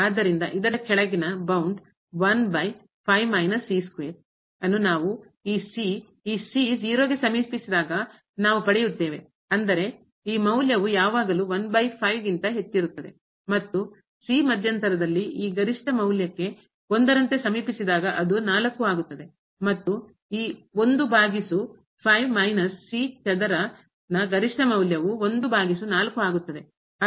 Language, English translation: Kannada, So, the lower bound of this over minus square will be obtained when we then the this approaches to ; that means, this value is always greater than over and when the approaches to this maximum value in the interval as in that case this will become , and the maximum value of this over minus square will be by